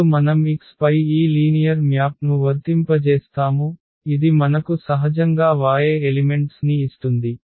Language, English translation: Telugu, And now we apply this linear map F on x which will give us the element y naturally